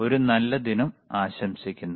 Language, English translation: Malayalam, Have a nice day